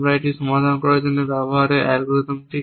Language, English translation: Bengali, What are the algorithms at we use for solving it